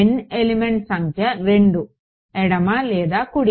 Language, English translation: Telugu, N element number is 2 left or right